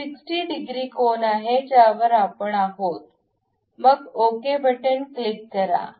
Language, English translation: Marathi, It is 60 degrees angle we are going to have, click ok